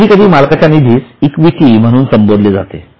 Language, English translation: Marathi, Sometimes it is referred to as equity